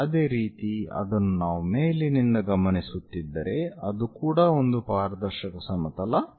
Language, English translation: Kannada, Similarly, if someone is observing from top that is also transparent plane